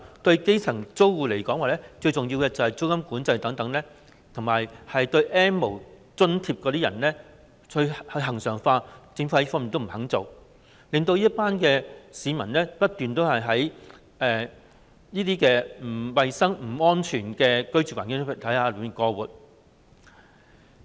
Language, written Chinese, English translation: Cantonese, 對基層租戶來說，最重要的是實施租金管制等措施及將 "N 無"津貼恆常化，但政府卻不肯做這些，令這群市民要繼續在不衞生、不安全的居住環境中過活。, For the grass - roots tenants the most important thing is to implement measures such as rent control and to normalize the N - no allowance . However the Government refuses to do so making this group of people continue to live in an unsanitary and unsafe living environment